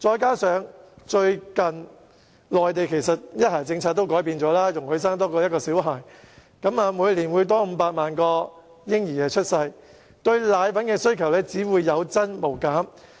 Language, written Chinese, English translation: Cantonese, 加上內地最近改變了"一孩"政策，容許市民多生育1名小孩，以致每年會有額外500萬名嬰兒出生，因此對奶粉的需求只會有增無減。, Coupled with the recent change to the one - child policy in the Mainland whereby members of the public are allowed to give birth to one more child an additional 5 million babies are expected to be born per annum . As a result the demand for powdered formulae will rise rather than fall